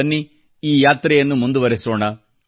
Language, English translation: Kannada, Come, let us continue this journey